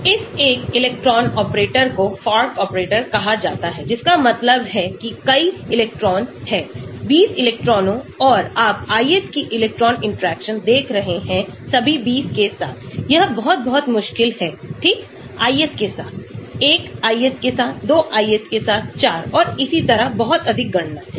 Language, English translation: Hindi, This one electron operator is called the Fock operator that means suppose, there are many electrons; 20 electrons and you are looking at the ith electron interaction with all the 20, it is going to be very, very difficult right, ith with, 1 ith with, 2 ith with, 4 and so on, too many calculations